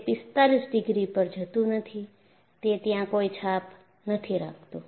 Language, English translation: Gujarati, It does not go at 45 degrees; do not carry that impression